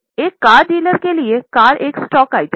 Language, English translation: Hindi, For a car dealer, car is a stock item